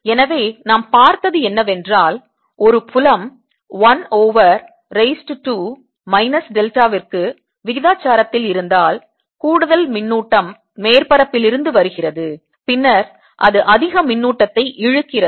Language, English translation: Tamil, so what we have seen: if a field is proportional to one over r raise to two minus delta, the extra charge comes under surface and then it pulls more charge and therefore there is going to be opposite charge left inside